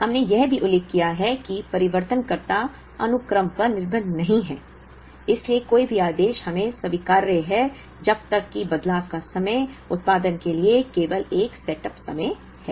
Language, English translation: Hindi, We have also mentioned that the changeovers are not sequence dependent, so any order is acceptable to us, as long as the changeover time, is only a setup time to produce